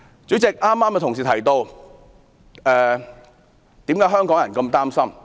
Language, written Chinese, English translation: Cantonese, 主席，有同事剛才提到為何香港人如此擔心？, President some colleagues have explained why Hong Kong people are so worried